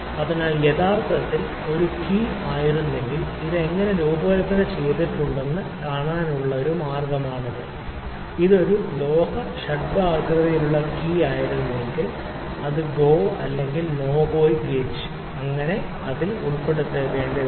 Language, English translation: Malayalam, So, this is actually one way to see that how the things are designed had it been a key, had it been a metal hexagonal key, which has to be inserted in something like may be GO or NO GO gauge, ok